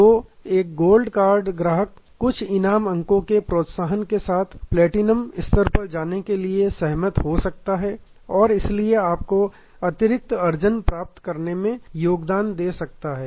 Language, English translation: Hindi, So, a gold credit card customer may agree to go to the platinum level here with some persuasion with some reward points and also can therefore, continue to bring you additional revenue